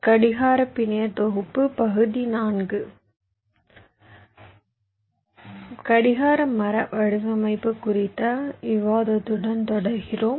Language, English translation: Tamil, so we continue with our discussion on clock tree design